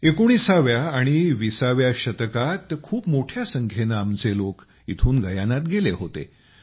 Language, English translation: Marathi, In the 19th and 20th centuries, a large number of people from here went to Guyana